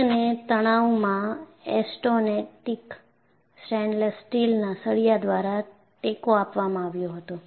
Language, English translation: Gujarati, The roof was supported by austenitic stainless steel rods in tension